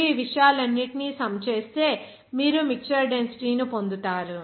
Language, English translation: Telugu, If you sum it up all these things, then you will get the mixture density